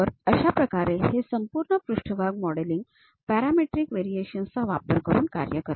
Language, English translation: Marathi, There is a way this entire surface modelling works in the parametric variation